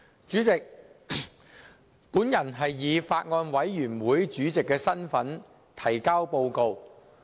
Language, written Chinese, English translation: Cantonese, 主席，我以法案委員會主席的身份提交報告。, President I submit the Bills Committees report in my capacity as Chairman of the Bills Committee